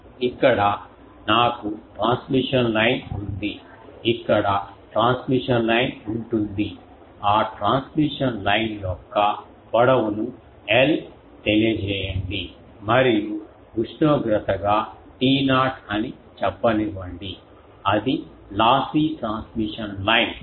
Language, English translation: Telugu, Here I have a transmission line there is this there will be a transmission line, that transmission line let us say length of l and that as a temperature let us say T not it is lossy transmission line